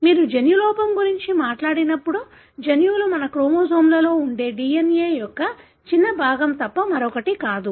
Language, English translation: Telugu, So, when you talk about gene defect, the genes are nothing but a small segment of DNA that is present in our chromosomes